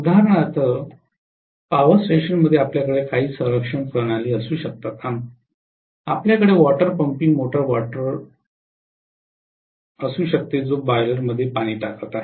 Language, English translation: Marathi, For example in a power station you may have some protection systems, you may have water pumping motor water which is pumping the water into the boiler